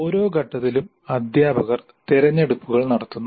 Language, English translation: Malayalam, So the teacher makes the choices at every stage